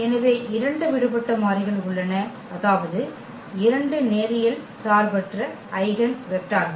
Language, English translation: Tamil, So, there are two free variables, meaning 2 linearly independent eigenvectors